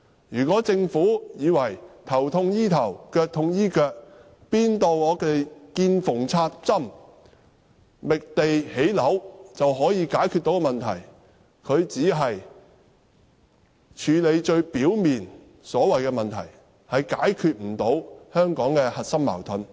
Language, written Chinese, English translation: Cantonese, 如果政府以為"頭痛醫頭、腳痛醫腳"，"見縫插針"地覓地建屋便可以解決問題，它只是處理最表面的問題，無法解決香港的核心矛盾。, If the Government thinks that the problem can be solved by taking piecemeal measures and making use of every single space for housing construction it only handles the most superficial problems without resolving the core conflicts of Hong Kong